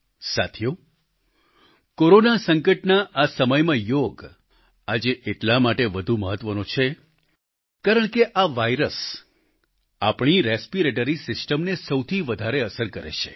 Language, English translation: Gujarati, during the present Corona pandemic, Yoga becomes all the more important, because this virus affects our respiratory system maximally